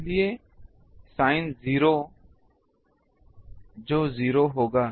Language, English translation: Hindi, So, sin 0 that will be 0